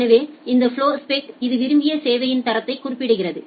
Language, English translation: Tamil, So, this flowspec it specifies the desired level of quality of service